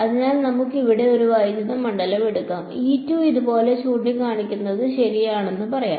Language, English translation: Malayalam, So, let us take a electric field over here let us say, like let us say E 2 is pointing like this right